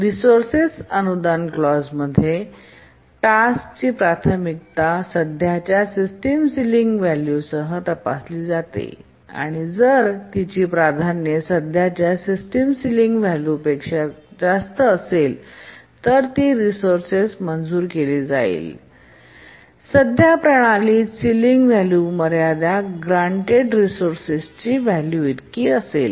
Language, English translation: Marathi, In the resource grant clause, the task's priority is checked with the current system sealing and if its priority is greater than the current system ceiling then it is granted the resource and the current system sealing is set to be equal to the ceiling value of the resource that was granted